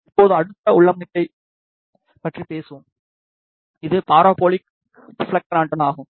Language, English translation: Tamil, Now, we will talk about the next configuration, which is parabolic reflector antenna